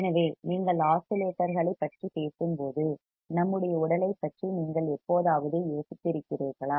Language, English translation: Tamil, So, when you talk about oscillators have you ever thought about our body right